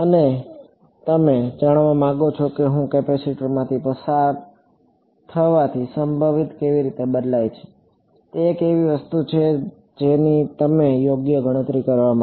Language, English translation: Gujarati, And you want to find out how does the potential vary as I go from go through the capacitor, that is that is one something that you might want to calculate right